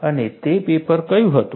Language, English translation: Gujarati, And, what was that paper